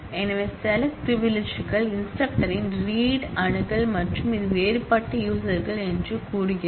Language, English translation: Tamil, So, it is saying select privileges is read access on instructor and these are the different users